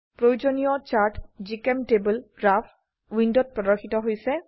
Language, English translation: Assamese, The required chart is displayed on GChemTable Graph window